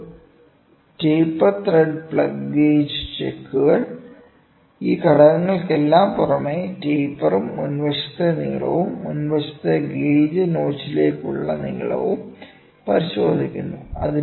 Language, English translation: Malayalam, A taper thread plug gauge checks, in addition to all these elements, taper also as well as the length of the front and to the front end to the gauge notch